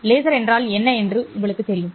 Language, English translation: Tamil, I know what a laser is